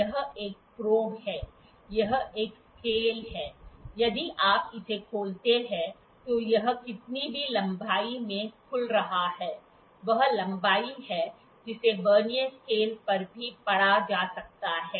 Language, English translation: Hindi, This is a probe, this is a scale, if you open it whatever the length it is getting opened that is the length that length can also be read on the Vernier scale